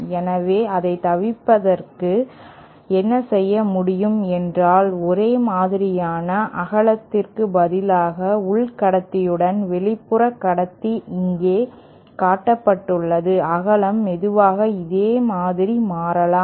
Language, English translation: Tamil, So, to avoid that, what could be done is we have our same thing, same outer conductor with the inner conductor instead of instead of being of the uniform width as shown here, the width can slowly change like this